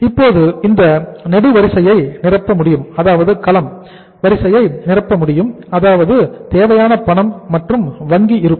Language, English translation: Tamil, So it means now we can fill this column that is the cash and bank balance required